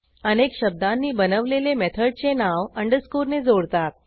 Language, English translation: Marathi, A multiword method name is separated with an underscore